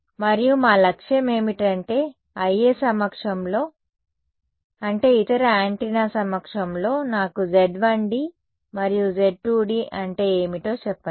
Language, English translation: Telugu, And our objective is that in the presence of I A, I mean in the presence of the other antenna tell me what is Z 1 d tell me what is Z 2 d ok